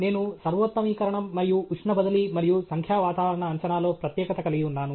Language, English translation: Telugu, I specialize in optimization, and e transfer, and numerical weather prediction